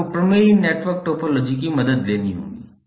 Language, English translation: Hindi, You have to take the help of theorem network topology